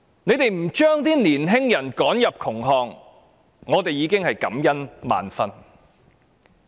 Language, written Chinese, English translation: Cantonese, 不把青年人趕進窮巷，我們已感恩萬分了。, We should feel very grateful that young people have not been driven into a blind alley